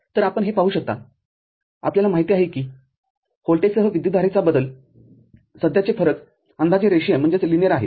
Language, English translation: Marathi, So, you can see the you know the current variation with the voltage is approximately linear